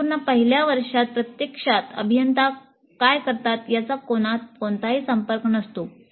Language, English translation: Marathi, In the entire first year, there is no exposure to what actually engineers do